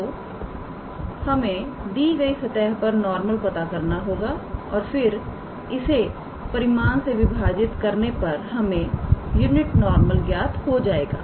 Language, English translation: Hindi, So, we have to find a normal to this surface given here and then dividing it with it is magnitude will give us the unit normal, alright